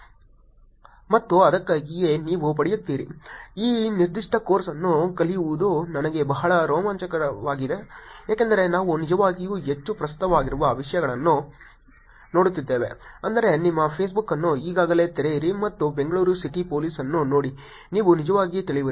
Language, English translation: Kannada, And that is why you will get, teaching this particular course is actually pretty exciting for me, it is because we are actually looking at topics which are very rather relevant, I mean just open your Facebook now and look at Bangalore City Police you will actually look at some of the things I am talking now